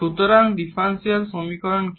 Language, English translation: Bengali, So, what is the differential equations